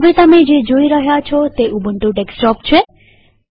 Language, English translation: Gujarati, What you are seeing now, is the Ubuntu Desktop